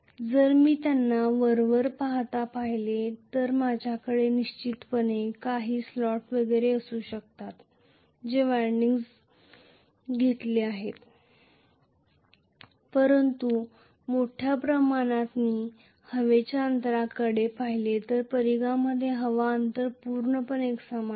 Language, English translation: Marathi, If I just look at them you know superficially so I may have definitely some slots and so on and so forth where the windings are inserted but by and large if I look at the air gap the air gap is completely uniform throughout the circumference